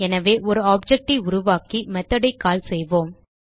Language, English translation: Tamil, So let us create an object and call the method